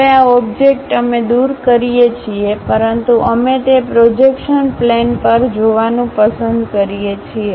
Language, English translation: Gujarati, Now, this object we remove, but we would like to really view that on the projection plane